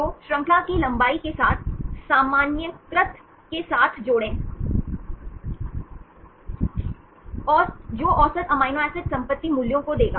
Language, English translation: Hindi, So, add up together normalized with the chain length, that will give the average amino acid property values